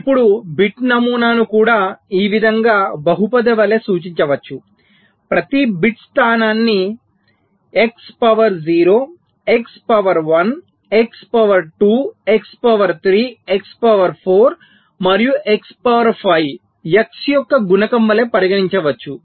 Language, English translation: Telugu, now bit pattern can be also be represented as a polynomial, like this: that every bit position can be regarded as the coefficient of a polynomial: x to the power zero, x to the power one, x to the power two, x to the power three, x to the power four and x to the power five